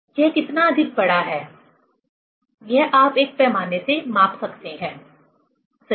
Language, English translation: Hindi, How much it is extended you can measure from a scale, right